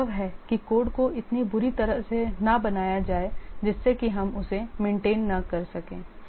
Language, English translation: Hindi, The code should not be so bad that we cannot even maintain it